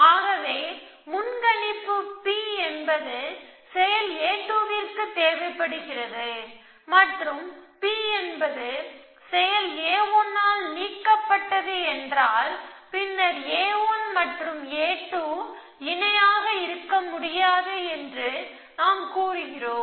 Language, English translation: Tamil, So, if a, if a predicate P is required by action a 2 and predicate P is being deleted by action a 1, then we say that a 1 and a 2 cannot be parallel